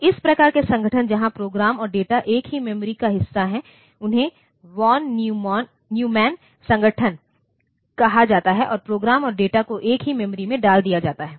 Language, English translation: Hindi, So, this type of organization where program and data are part of the same memory, they are called von Neumann organization and the program and data are put into the same memory